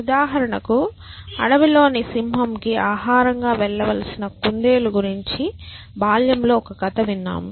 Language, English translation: Telugu, So, for example, you must have as a child heard a story about the rabbit who has to go to the lion in the jungle as food